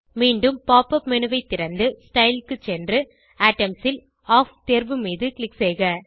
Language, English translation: Tamil, Open the pop up menu again and go to Style scroll down to Atoms and click on Off option